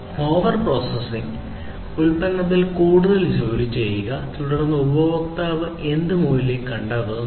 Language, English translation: Malayalam, Over processing doing more work in the product, then whatever basically the customer finds value in